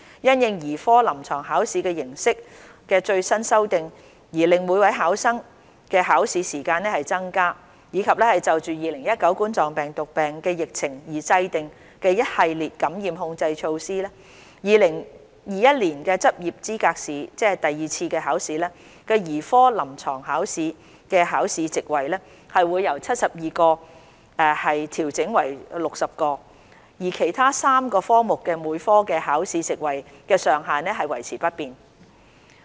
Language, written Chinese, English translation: Cantonese, 因應兒科臨床考試形式的最新修訂而令每位考生的考試時間增加，以及就2019冠狀病毒病疫情而制訂的一系列感染控制措施 ，2021 年執業資格試兒科臨床考試的考試席位會由72個調整為60個，而其他3個科目每科的考試席位上限則維持不變。, In the light of the increase in examination time for each candidate brought about by the latest changes to the format of the Paediatrics Clinical Examination and the series of infection control measures introduced in response to the COVID - 19 epidemic the number of seats for the Paediatrics Clinical Examination of the 2021 LE will be adjusted from 72 to 60 while that for each of the other three disciplines will remain unchanged